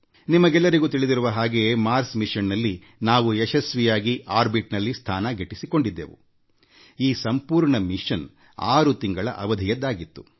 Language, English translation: Kannada, You may be aware that when we had successfully created a place for the Mars Mission in orbit, this entire mission was planned for a duration of 6 months